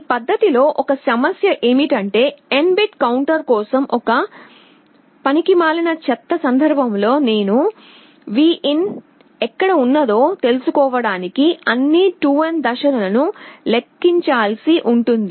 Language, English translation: Telugu, One problem with this method is that in the worst case for an n bit counter I may have to count through all 2n steps to find where Vin is